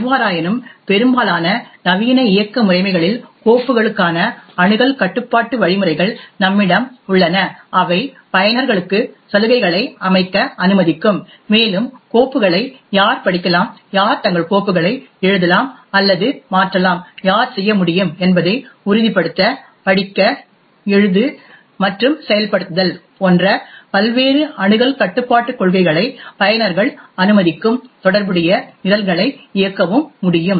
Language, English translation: Tamil, However, in most modern operating systems we have access control mechanisms for files which would permit users to actually set privileges and various access control policies like read, write and execute to ensure who can read files, who can write or modify their files and who can execute corresponding programmes